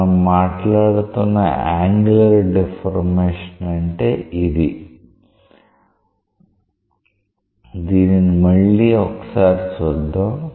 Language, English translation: Telugu, So, this is the angular deformation that we are talking about, we just play it again, so that you can see it again